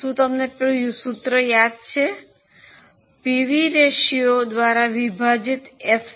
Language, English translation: Gujarati, You know the formula FC divided by PV ratio